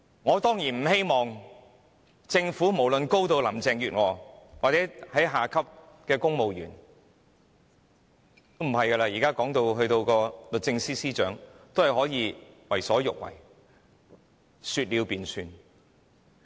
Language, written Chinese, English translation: Cantonese, 我當然不希望政府內上至林鄭月娥下至低層的公務員......現在連律政司司長也可以為所欲為，說了便算。, I certainly do not want to see that all civil servants from Carrie LAM on the top to the lowest echelon and now even the Secretary for Justice is doing whatever she likes and has the final say